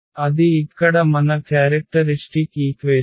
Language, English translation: Telugu, So, that is our characteristic equation here